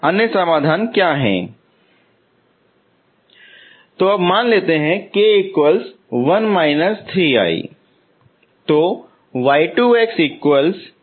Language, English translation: Hindi, What is other solution